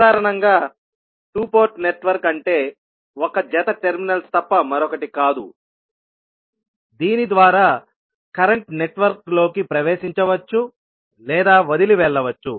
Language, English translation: Telugu, Basically, the two port network is nothing but a pair of terminals through which a current may enter or leave a network